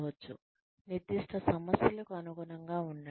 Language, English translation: Telugu, Be adaptable to specific problems